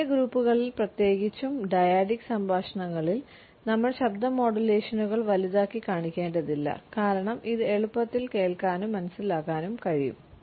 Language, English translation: Malayalam, In the small groups and particularly in dyadic conversations we do not have to exaggerate voice modulations because it could be easily hurt and understood